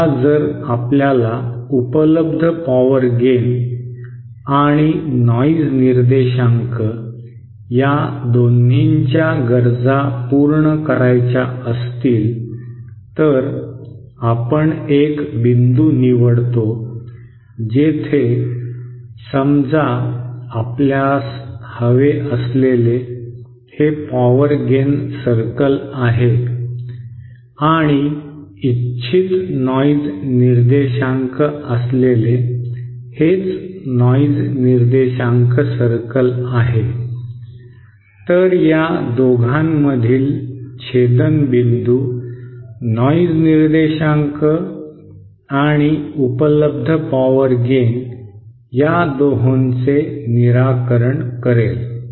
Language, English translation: Marathi, Now if we want to satisfy both the available power gain requirement and the noise figure requirement then we choose a point where, suppose this is the available power gain circle we want to we have and this is the noise figure circle we what the desired noise figure